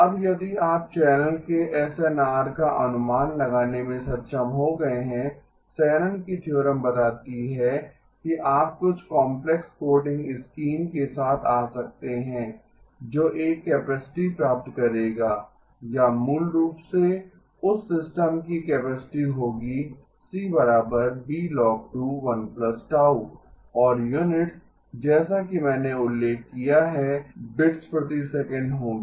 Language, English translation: Hindi, Now if you have been able to estimate the SNR of the channel, Shannon's theorem states that you can come up with some complex coding scheme that will achieve a capacity or basically the capacity of that system will be B times logarithm base 2 1 plus gamma and the units is as I mentioned, will be bits per second